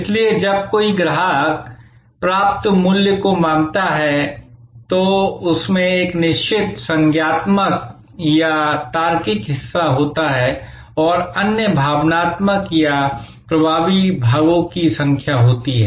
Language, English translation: Hindi, So, when a customer perceives the value received, in that there is a certain cognitive or logical part and there are number of other emotional or effective parts